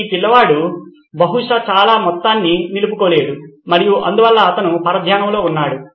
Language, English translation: Telugu, This kid is probably not retaining a whole lot and hence he is distracted